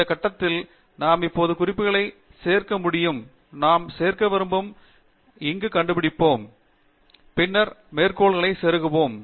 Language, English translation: Tamil, At this point, we can now start inserting the references, we can just locate where we want to insert, and then Insert Citation